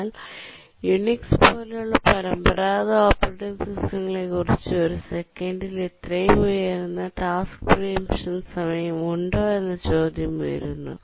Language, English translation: Malayalam, But then you might be wondering at this point that why is that the traditional operating systems like Unix have such a high task preemption time of a second or something